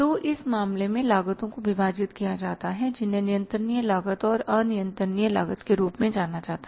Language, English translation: Hindi, So, in this case the costs are bifurcated or known as controllable cost and uncontrollable cost